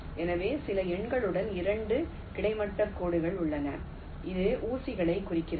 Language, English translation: Tamil, so i have two horizontal lines with some numbers, which indicates pins